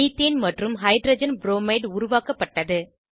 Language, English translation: Tamil, Methane and Hydrogen bromide are formed